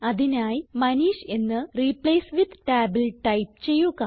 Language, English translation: Malayalam, So we type Manish in the Replace with tab